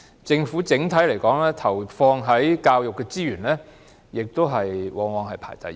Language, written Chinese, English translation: Cantonese, 政府整體投放到教育的資源，往往也是排第一位。, The total amounts of resources allocated by the Government to education have often ranked first